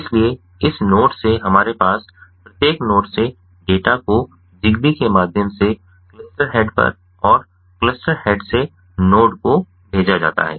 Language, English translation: Hindi, so from this node, ah, from every node that we have here, the data are sent via zigbee to the cluster head and from the cluster head